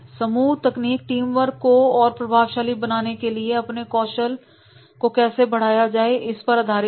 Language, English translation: Hindi, Group techniques focus on helping teams increase their skills for effective teamwork